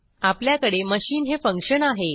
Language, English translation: Marathi, I have a function machin